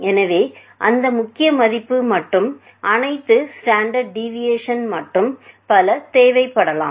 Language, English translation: Tamil, So, that main value etcetera and all standard deviation etcetera can be required